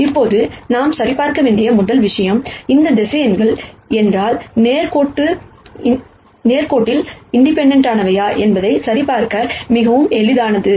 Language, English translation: Tamil, Now, the first thing that we have to check is, if these vectors are linearly independent or not and that is very easy to verify